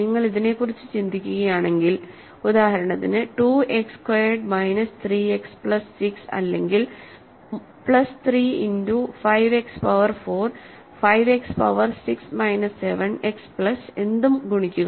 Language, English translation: Malayalam, If you think about it, if you for example, multiply 2 X squared minus 3 X plus 6 or plus 3 times 5 X power 4, 5 X power 6 minus 7 X plus whatever